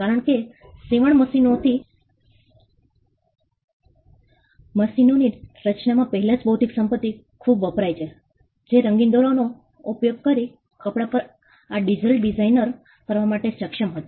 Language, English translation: Gujarati, Because the intellectual property went in much before in the creation of the sewing machines, which was capable of doing this intricate design on cloth using colorful thread